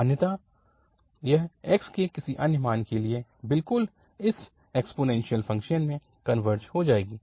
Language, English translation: Hindi, Otherwise, it is a, it will converge to for any other value of x, to exactly this exponential function